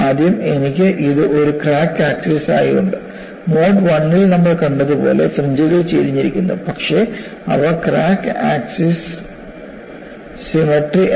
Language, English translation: Malayalam, First thing is, I have this as a crack axis; the fringes are tilted like what we saw in the mode 1 scenario, but they are not symmetrical about the crack axis